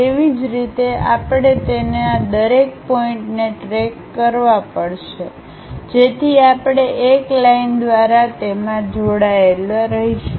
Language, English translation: Gujarati, In the similar way we have to track it each of these points so that, we will be in a position to join that by a line